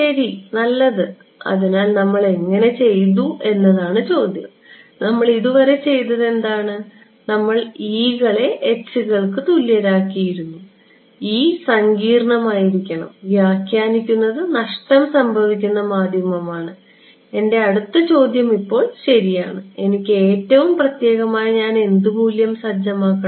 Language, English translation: Malayalam, Ok so good so, the question is how do we, what we have done so far is we have made the e’s equal to h and we have said that e should be complex, interpretation is of lossy medium, my next question is now ok, I want most specifics, what value should I set